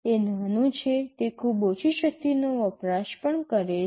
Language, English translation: Gujarati, It is small, it also consumes very low power